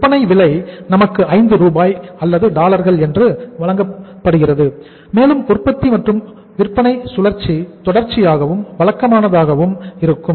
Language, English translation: Tamil, And selling price is also given to us that is 5 Rs or dollars we call it as and production and sales cycle is continuous and regular